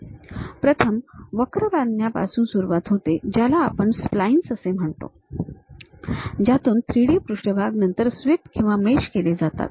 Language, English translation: Marathi, So, first begins with construction of curves which we call splines, from which 3D surfaces then swept or meshed through